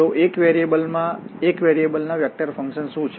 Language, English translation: Gujarati, So, what are these vector functions of one variable